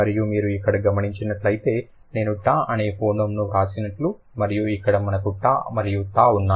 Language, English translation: Telugu, And if you notice here, you see I have written the phoeneme t and here we have t and t